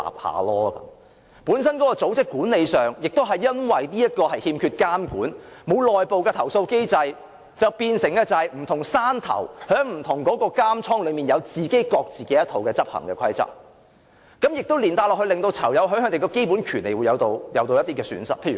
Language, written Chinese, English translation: Cantonese, 由於組織管理本身欠缺監管，不設內部投訴機制，變成有不同"山頭"在不同監倉內有各自一套執行的規則，連帶令到囚友的基本權利受損。, Without any monitoring and internal complaint mechanism management teams gradually turns their respective institutions into their own fiefdoms where they establish their own rules jeopardizing prisoners fundamental rights